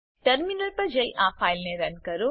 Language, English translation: Gujarati, Run this file by going to the Terminal